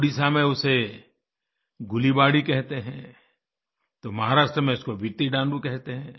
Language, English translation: Hindi, In Odisha it's called Gulibadi and in Maharashtra, Vittidaaloo